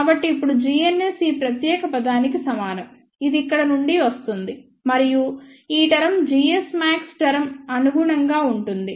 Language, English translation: Telugu, So, now, g n s equal to this particular term, which is coming from here and this term corresponds to the g s max term